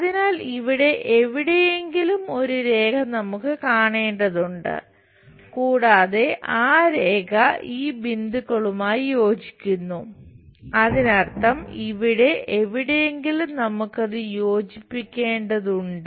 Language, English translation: Malayalam, So, somewhere here we have to see a line and that line joins at this points; that means, here somewhere we are supposed to join that